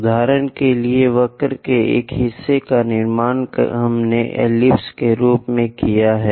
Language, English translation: Hindi, For example, part of the curve we have constructed as an ellipse